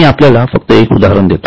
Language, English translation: Marathi, I will just give you an example